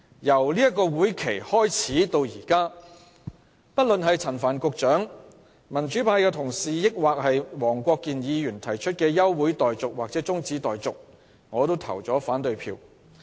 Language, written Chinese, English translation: Cantonese, 由這個會期開始至今，不論是陳帆局長、民主派同事或黃國健議員提出的休會待續或中止待續議案，我都表決反對。, Since the commencement of the current session I have voted against motions for adjournment of proceedings or of debate moved by Secretary Frank CHAN pan - democratic Members and Mr WONG Kwok - kin